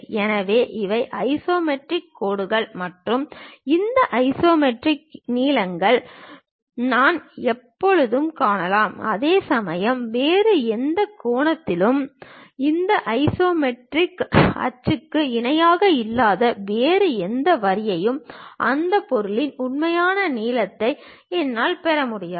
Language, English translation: Tamil, So, these are isometric lines and I can always find this isometric lengths; whereas, any other angle, any other line which is not parallel to any of this isometric axis I can not really get true length of that object